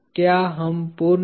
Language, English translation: Hindi, Are we complete